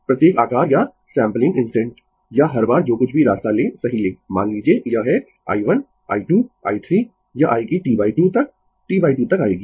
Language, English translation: Hindi, Every, size or sampling instant or every time whatever you take the way you take right suppose this is i 1, i 2, i 3 up to this will come up to T by 2 right, up to T by 2 will come